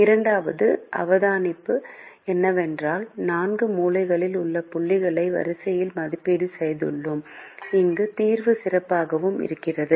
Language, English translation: Tamil, second observation is: if we look at the four corner points, we seem to have elevated them in the order where the solution gets better and better